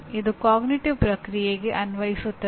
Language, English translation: Kannada, It belongs to the cognitive process Apply